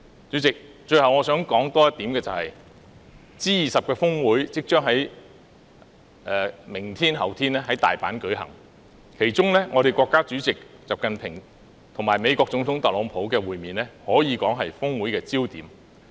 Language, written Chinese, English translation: Cantonese, 主席，最後我想再說出一點 ，G20 峰會將於明天及後天在大阪舉行，其中國家主席習近平與美國總統特朗普的會面可說是峰會的焦點。, President I would like to make one last point . The G20 Osaka Summit will be held in Osaka tomorrow and the day after in which the meeting between China President XI Jinping and the American President Donald TRUMP can be described as the focus of the Summit